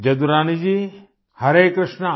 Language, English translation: Hindi, Jadurani Ji, Hare Krishna